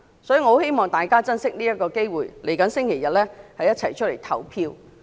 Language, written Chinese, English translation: Cantonese, 故此，我很希望大家珍惜這次機會，本周日一起出來投票。, Thus I greatly hope that we will cherish this chance and go to vote together this Sunday